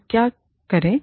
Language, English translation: Hindi, What do we do